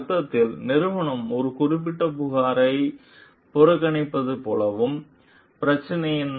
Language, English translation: Tamil, In the sense, like if like if the company is neglecting a particular complaint and what is the issue